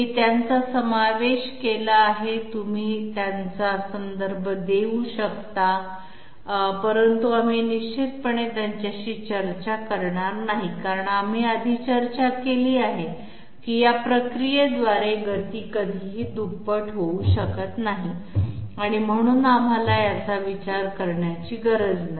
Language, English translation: Marathi, I have included them, you can refer to them but we are definitely not going to discuss them because as we have discussed previously speed can never be doubled by this process, so we need not even consider it